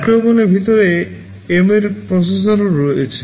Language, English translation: Bengali, There are embedded processors inside micro ovens also